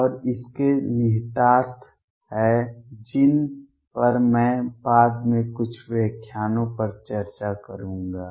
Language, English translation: Hindi, And this has implications which I will discuss a couple of lectures later